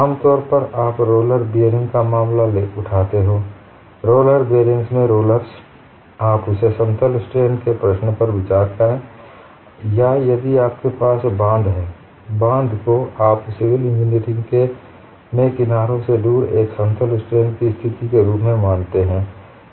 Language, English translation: Hindi, Normally you would take the case of a roller bearing the rollers in the roller bearing; you consider that as the plane strain problem or if you have the dam, the dam you consider the in civil engineering away from the edges as a plane strain situation; it is uniformly loaded and it is very long and plane strain assumption is valid